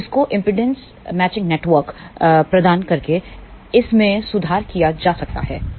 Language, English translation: Hindi, So, this can be improved by providing impedance matching network